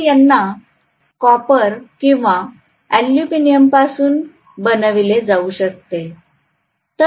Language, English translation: Marathi, So they can be made up of a either copper or aluminum, so this may be copper or aluminum